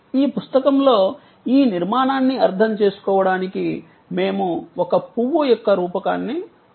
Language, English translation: Telugu, In this book, we have used a metaphor of a flower to understand this architecture